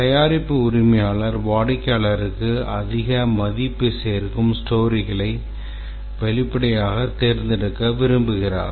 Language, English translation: Tamil, Obviously the product owner would like to select those stories, user stories which are most value adding to the customer